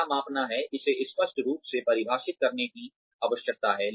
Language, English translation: Hindi, What to measure, needs to be clearly defined